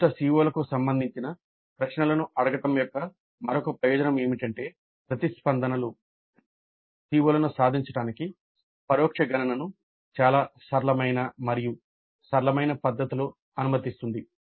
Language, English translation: Telugu, And another advantage of asking questions related to specific CEOs is that the responses will allow the indirect computation of attainment of CBOs in a fairly simple and straight forward fashion